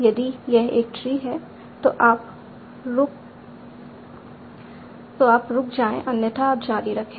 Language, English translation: Hindi, If it is a tree you stop otherwise you continue